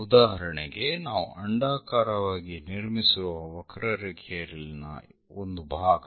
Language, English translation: Kannada, For example, part of the curve we have constructed as an ellipse